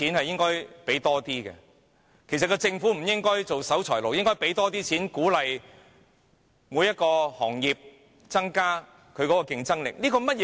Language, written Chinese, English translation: Cantonese, 政府其實不應做守財奴，而應增加撥款，鼓勵各行業提升競爭力。, The Government should not be a scrooge and it should increase its provision in encouraging various trades and industries to enhance their competitiveness